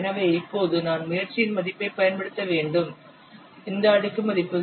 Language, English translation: Tamil, So now I have to use the value of effort and the value of this exponent is 0